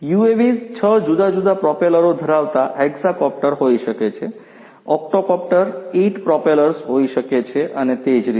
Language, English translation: Gujarati, UAVs could be hexacopters having 6 different propellers, could be octocopters 8 propellers and so on